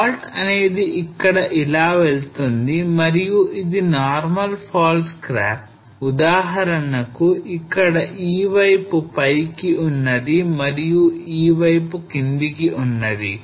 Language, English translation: Telugu, So fault run somewhere here and this is an example of a normal fault scarp where this side is up this is down